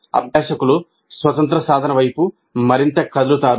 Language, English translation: Telugu, So the learners would move more towards independent practice